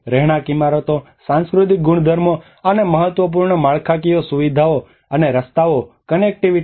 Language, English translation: Gujarati, Residential buildings, cultural properties, and the critical infrastructure, and the roads and the connectivity